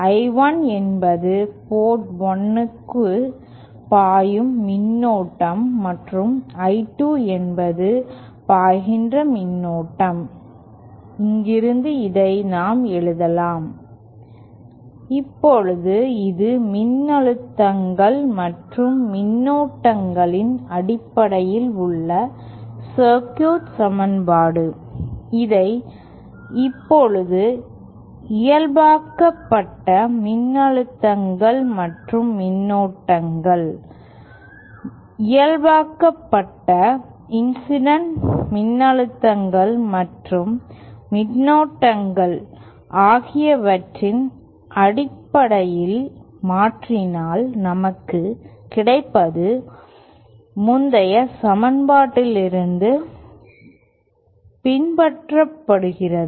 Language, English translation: Tamil, Where I1 is the current flowing into port 1 and I2 is the current flowing toÉ From here we can write this as, Now this is the circuit equation in terms of voltages and currents, if we now convert this in terms of normalised voltages and currents, normalised incident voltages and currents, what we get is following from the previous equation